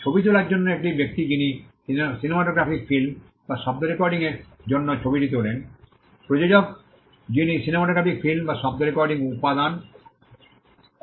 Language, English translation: Bengali, For a photograph it is the person who takes the photograph for a cinematograph film or sound recording it is the producer, who produces the cinematograph film or the sound recording